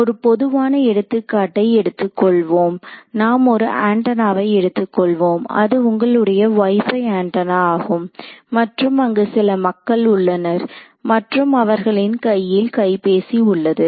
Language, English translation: Tamil, So, when we are so, take a general example let us say that I have an antenna let us say that is your WiFi antenna over here and you have some human being over here, you could even have a mobile phone in his hand his or her hand